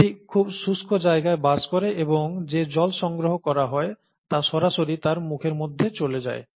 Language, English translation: Bengali, It lives in very arid places and the water that is collected directly goes into it's mouth and so on